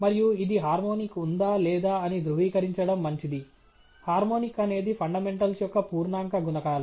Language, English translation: Telugu, And this is, perhaps, well to conform whether there is harmonic or not harmonics are integer multiples of fundamentals